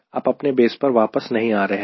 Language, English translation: Hindi, it is not, you are coming back to the base, right